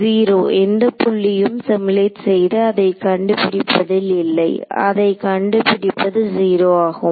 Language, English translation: Tamil, 0, there is no point in simulating and finding out it to be finding it out to be 0 right